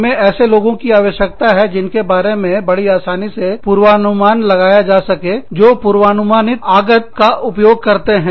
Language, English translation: Hindi, We need to have people, who are very predictable, who are used to predictable inputs